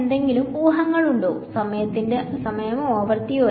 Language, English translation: Malayalam, Any guesses, is it time or frequency